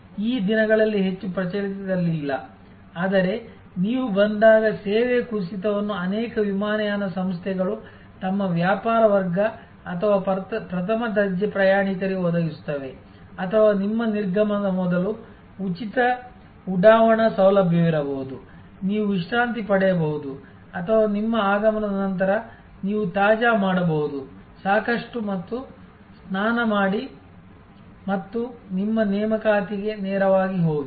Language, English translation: Kannada, These days that is not very much prevalent, but drop of service when you arrive are provided by many airlines for their business class or first class travelers or there could be free launch facility before your departure, you can relax or on your arrival you can fresh enough and take a shower and so on, and go straight to your appointment